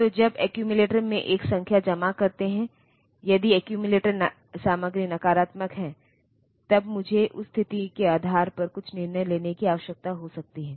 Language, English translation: Hindi, So, when storing a number in the accumulator, if the accumulator content is negative, then I there may be some decision that I need to take based on that situation